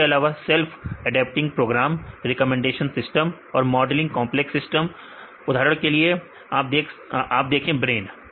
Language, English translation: Hindi, Then we also in the self adapting programs recommendation systems as well as modelling complex systems right for example, see you see brains